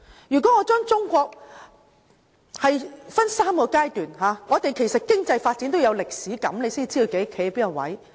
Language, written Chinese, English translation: Cantonese, 如果我把中國的發展分3個階段，我們對經濟發展也要有歷史感，才知道自己站在哪個位置。, We need to nurture a sense of history when looking at economic development in order to know where we are standing . Say we divide Chinas development into three stages